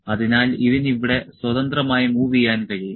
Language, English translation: Malayalam, So, this can move here this can move freely here